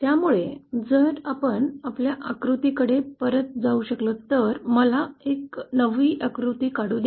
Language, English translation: Marathi, So if we can go back to our figure, let me draw a fresh figure